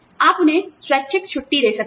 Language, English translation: Hindi, You could give them, voluntary time off